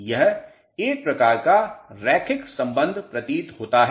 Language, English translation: Hindi, This seems to be a sort of a linear relationship